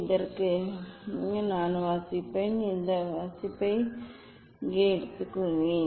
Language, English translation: Tamil, I will take reading for this; I will take reading for this here